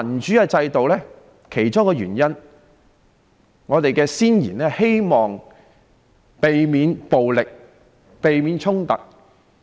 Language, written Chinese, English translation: Cantonese, 其中的一個原因是，我們的先賢希望能避免暴力及衝突。, One reason is that our forefathers wanted to avoid violence and conflicts